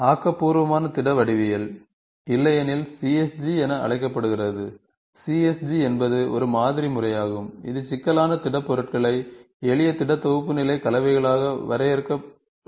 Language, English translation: Tamil, So, constructive solid geometry, which is otherwise called as CSG, the CSG is a modern method that defines the complex solid shape as composition of a simple solid primitives